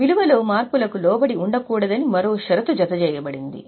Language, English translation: Telugu, There is one more condition attached that it should not be subject to changes in the value